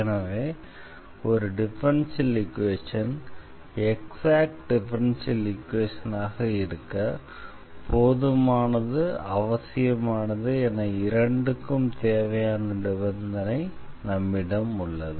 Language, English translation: Tamil, So, we have both ways here that this condition is also necessary for the exactness of a differential equation and this condition is also sufficient for exactness of a differential equation